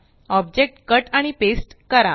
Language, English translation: Marathi, Cut an object and paste it